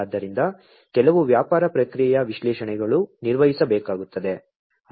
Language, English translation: Kannada, So, some business processing analytics will have to be performed